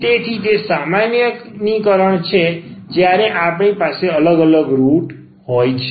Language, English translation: Gujarati, So, that is the generalization when we have the distinct roots